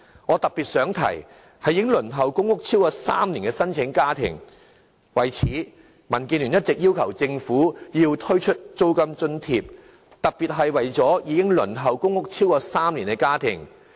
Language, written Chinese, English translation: Cantonese, 我想特別說說已輪候公屋超過3年的家庭，為此，民建聯一直要求政府推出租金津貼，特別是為了幫助已輪候公屋超過3年的家庭。, To this end DAB has been urging the Government to introduce rental allowances to help in particular those families having been waiting for public housing for more than three years